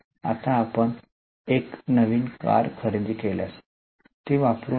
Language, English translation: Marathi, Now, if you purchase a brand new car, don't use it